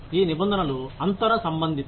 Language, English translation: Telugu, These terms are inter related